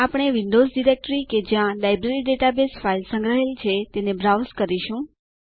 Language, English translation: Gujarati, We will browse the Windows directory where the Library database file is saved